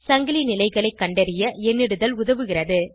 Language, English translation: Tamil, Numbering helps to identify the chain positions